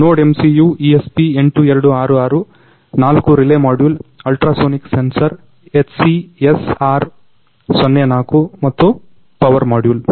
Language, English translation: Kannada, We have used components which are NodeMCU ESP8266, four relay module, ultrasonic sensor that is HCSR04 and a power module